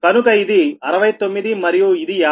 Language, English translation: Telugu, so this is sixty nine and fifty one